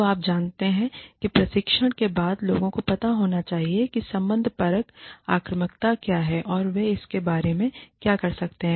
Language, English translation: Hindi, So, you know, then training is, people should know, what relational aggression is, and what they can do, about it